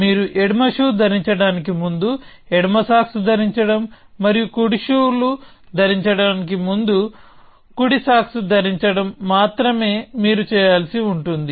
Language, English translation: Telugu, The only thing that you have to do is to wear the left sock before you wear the left shoe and wear the right sock before you wear the right shoes